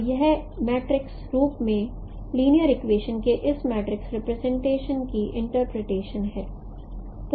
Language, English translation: Hindi, So this is the interpretation of this matrix representation of the linear equations in the matrix form